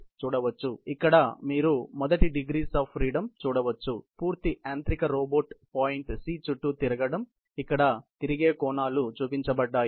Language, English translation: Telugu, So, here you can see the first degree of freedom is basically, turning of the complete mechanical robot around the point’s C the turn angles have been shown here